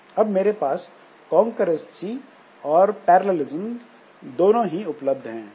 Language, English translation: Hindi, So, we have got concurrency plus parallelism